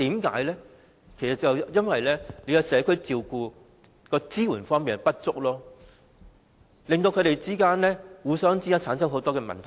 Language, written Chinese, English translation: Cantonese, 其實是因為對社區照顧的支援不足，照顧者與被照顧者之間有很多問題。, Because support given to community care is not sufficient and there are many problems between carers and the cared